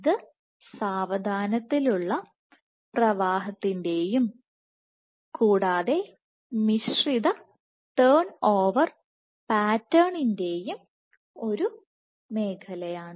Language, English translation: Malayalam, It is a zone of slower flow and punctate or mixed turnover pattern